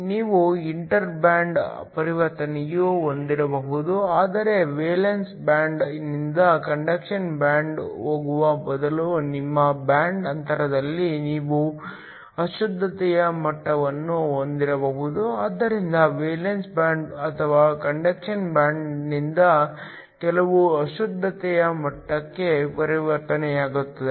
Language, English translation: Kannada, You could also have an inter band transition, but instead of going from the valence band to the conduction band you could have impurity levels within your band gap, so a transition is from either the valence band or the conduction band to some impurity level